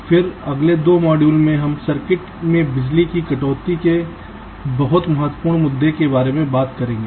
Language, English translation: Hindi, then in the next two modules we shall be talking about the very important issue of reduction of power in circuits